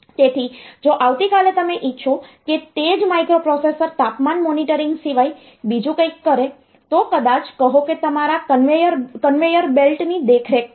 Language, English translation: Gujarati, So, if tomorrow you want that same microprocessors to do something else not the temperature monitoring, but maybe say your conveyor belt monitoring the conveyor belt control operates the application